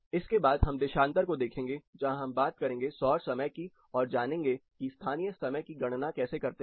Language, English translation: Hindi, next we will look at longitude where we will talk about the solar time, also how to calculate local and derive local time from that